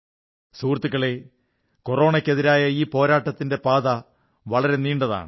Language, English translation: Malayalam, the path of our fight against Corona goes a long way